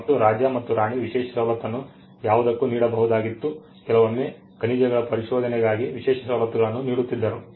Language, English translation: Kannada, And it was the royal privilege the king or the queen could give a royal privilege for anything; sometimes the royal privileges could be given for explorations of minerals Privileges were given